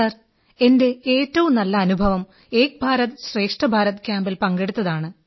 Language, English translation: Malayalam, Sir, I would like to share my best experience during an 'Ek Bharat Shreshth Bharat' Camp